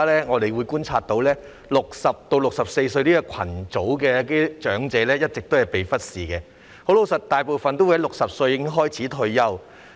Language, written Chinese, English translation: Cantonese, 我們觀察到60歲至64歲的長者一直被忽視，其實大部分市民60歲便開始退休。, Our observation is that elderly people aged between 60 and 64 have all along been neglected . In fact retirement starts at 60 for most people